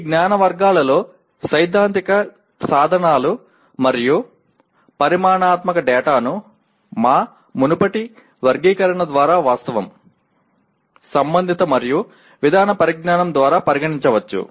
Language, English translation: Telugu, Of these knowledge categories, the theoretical tools and quantitative data can be considered addressed by our previous categorization namely Factual, Conceptual, and Procedural knowledge